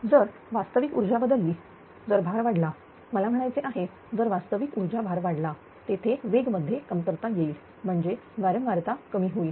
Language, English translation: Marathi, So, if real power changes, if you load increases I mean real power load increases, there will be a decrease in the speed that is decrease in frequency